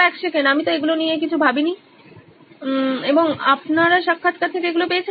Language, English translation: Bengali, wait a second I didn’t think of these and you got that out of the interviews